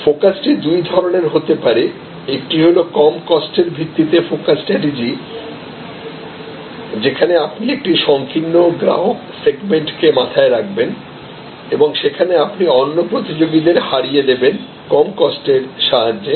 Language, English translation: Bengali, The focus can be of two types, one can be that focus strategy based on low cost, where you actually look at in narrow customer segment and in that segment you beat the competition with the lower cost